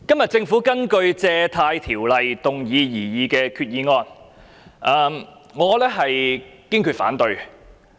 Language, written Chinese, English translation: Cantonese, 主席，今天政府根據《借款條例》動議擬議的決議案，我堅決反對。, President I firmly oppose the proposed resolution moved by the Government under the Loans Ordinance today